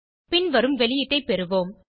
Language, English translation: Tamil, You get the following output